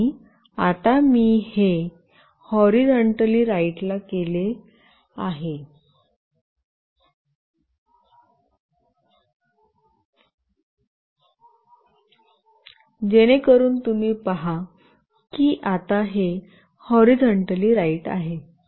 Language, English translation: Marathi, And now I will make it horizontally right, so you can see that it is now horizontally right